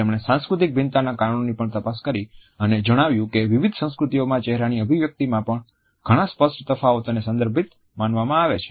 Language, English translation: Gujarati, He also looked into the reasons of cultural variations and mentioned that several apparent differences in facial expressions among different cultures have to be considered as contextual